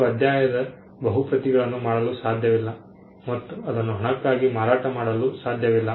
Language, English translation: Kannada, You cannot make multiple copies of the chapter and sell it for a price